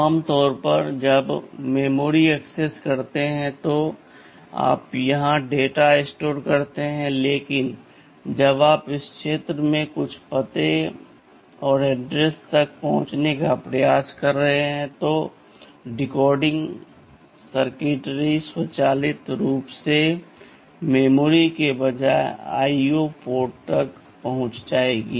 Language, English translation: Hindi, Normally when you access memory you store the data here, but when you are trying to access some address in this region there the were decoding circuitry which will automatically be accessing the IO ports instead of the memory